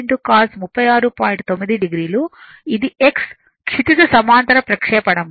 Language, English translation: Telugu, So, horizontal projection